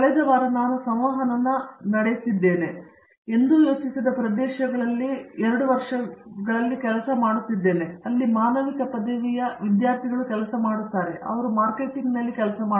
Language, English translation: Kannada, I just interacted last week with 2 of them who are working in the area which I never thought in for, where a student with humanities degree will be working, they were working in marketing